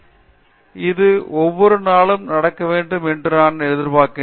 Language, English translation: Tamil, I would expect that this should happen every day